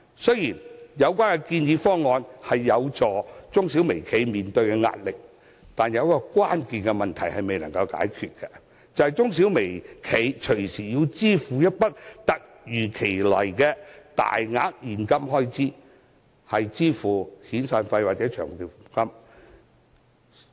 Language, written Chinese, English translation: Cantonese, 雖然有關建議方案有助減低中小微企的壓力，但仍有一個關鍵問題未能解決，便是中小微企動輒要支付一筆突如其來的大額現金開支，用作支付遣散費或長期服務金。, Although the proposal is helpful in alleviating the pressure on SMEs and micro - enterprises it still leaves a critical issue unresolved and that is SMEs and micro - enterprises still have to use a large sum of cash to make unexpected severance payments or long service payments